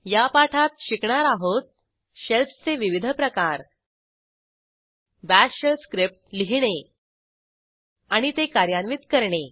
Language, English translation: Marathi, In this tutorial, we will learn About different types of Shells To write a Bash Shell script and To execute it